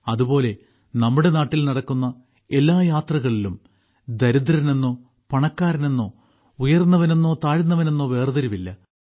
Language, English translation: Malayalam, Similarly, in all the journeys that take place in our country, there is no such distinction between poor and rich, high and low